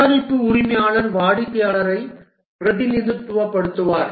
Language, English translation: Tamil, The product owner is the one who represents the customer